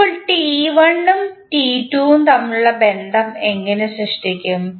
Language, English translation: Malayalam, Now, how we will create the relationship between T1 and T2